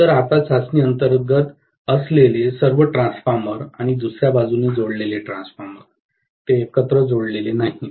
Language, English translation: Marathi, So, now after all the transformer under test and the transformer which is connected to the other side, they are not connected together